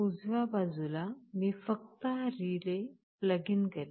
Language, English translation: Marathi, On the right side I will simply plug in this relay